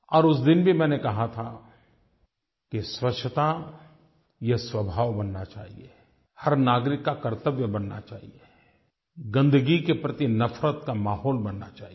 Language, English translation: Hindi, That day too I had said that cleanliness should become our nature, a duty for every citizen and there should be an atmosphere harbouring a sense of revulsion against filth